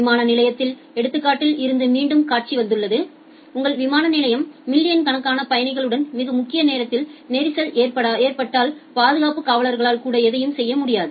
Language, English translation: Tamil, Again the scenario come from the example of airport that security check scenario that if your airport is very much loaded to with the millions of passengers at the peak time then the security guards also cannot do anything